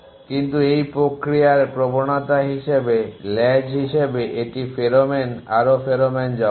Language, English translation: Bengali, But in the process if as tendency the trail it as deposited more pheromone on the way back